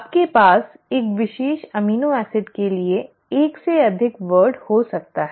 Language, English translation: Hindi, You can have more than one word for a particular amino acid